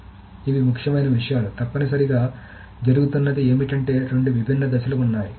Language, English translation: Telugu, So what is essentially happening is that there are two distinct phases